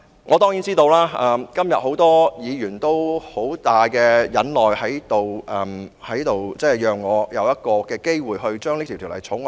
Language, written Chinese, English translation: Cantonese, 我當然知道今天很多議員都十分忍耐，讓我有機會二讀《條例草案》。, I am well aware that many Members have been very patient today and allowed me to proceed to the Second Reading of the Bill